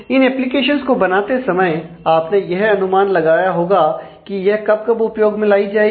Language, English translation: Hindi, So, while developing the application you will have to make an estimate of how often it will be used